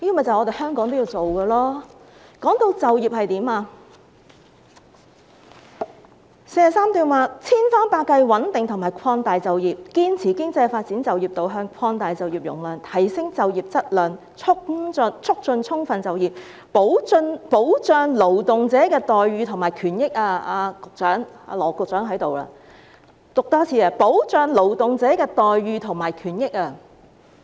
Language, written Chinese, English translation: Cantonese, 至於就業，第43段提到"千方百計穩定和擴大就業，堅持經濟發展就業導向，擴大就業容量，提升就業質量，促進充分就業，保障勞動者待遇和權益"——羅局長正在席，我再多讀一次——"保障勞動者待遇和權益"。, As regards employment paragraph 43 mentions to this effect We shall do everything possible to stabilize and expand employment adhere to the employment orientation of economic development expand employment capacity improve the quality of employment promote full employment and protect the treatment rights and interests of workers―Secretary Dr LAW Chi - kwong is now present . Let me read it again―protect the treatment rights and interests of workers